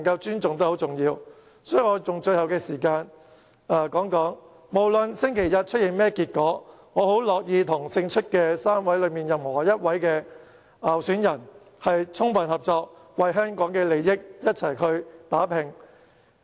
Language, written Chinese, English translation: Cantonese, 因此，我想用最後的發言時間表明，無論星期日出現甚麼結果，我很樂意與最後勝出的一位候選人充分合作，為香港的利益共同打拼。, Therefore I would like to use the remaining speaking time to state that whatever the outcome on Sunday is I am willing to fully cooperate with the candidate who finally wins and work hard together for the interests of Hong Kong